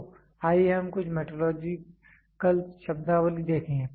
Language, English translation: Hindi, So, let us see some of the metrological terminology